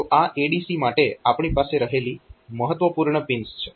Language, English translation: Gujarati, So, these are the important pins that we have for this ADC